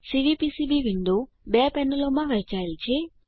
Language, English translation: Gujarati, The Cvpcb window is divided into two panels